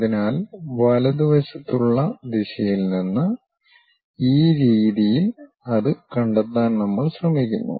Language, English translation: Malayalam, So, from rightward direction we are trying to locate it in this way